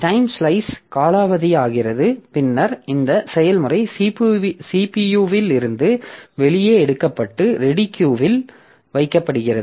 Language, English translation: Tamil, So the time slice expires, then the process is taken out of CPU and put onto the ready queue